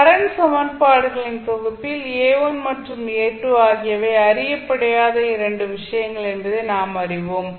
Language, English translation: Tamil, So, now in this particular set of current equations you know that the A1 and A2 are the 2 things which are unknown, so how we can find